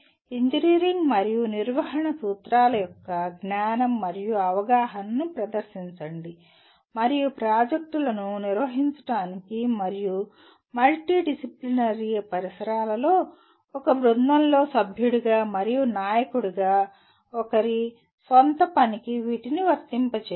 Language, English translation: Telugu, Demonstrate knowledge and understanding of the engineering and management principles and apply these to one’s own work, as a member and a leader in a team to manage projects and in multidisciplinary environments